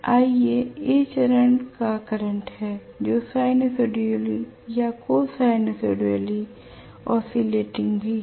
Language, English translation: Hindi, Ia is A phase current which is also sinusoidally or Cosinusoidally oscillating